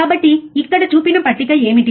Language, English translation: Telugu, So, what is the table shown here